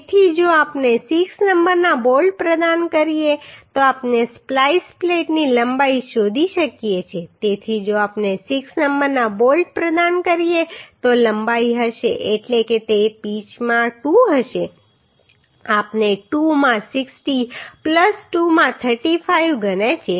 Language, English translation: Gujarati, So if we provide 6 number of bolts then we can find out the length of splice plate so length will be if we provide 6 number of bolts that means it will be uhh 2 into pitch is we have considered 2 into 60 plus 2 into 35 right